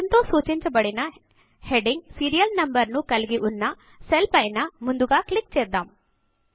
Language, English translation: Telugu, So let us first click on the cell which contains the heading Serial Number, denoted by SN